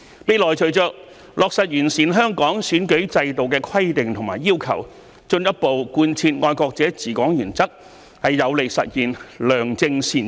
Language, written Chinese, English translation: Cantonese, 未來隨着落實完善香港選舉制度的規定和要求，進一步貫徹"愛國者治港"原則，有利實現良政善治。, In future the implementation of the rules and requirements for improving the electoral system of Hong Kong and the further application of the principle of patriots administering Hong Kong will be beneficial to the realization of benevolent governance